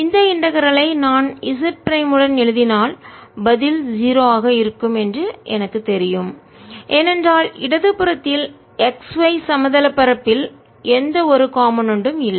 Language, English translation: Tamil, we can immediately see that if i write this integral with z prime, i know that the answer is going to be zero because on the left hand side there's no component in the x y plane